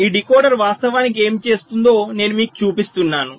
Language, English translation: Telugu, so i am just showing you what this decoder actually does